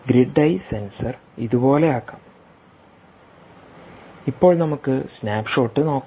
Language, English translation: Malayalam, so let me put put the grid eye sensor like this: now let us see the snapshot here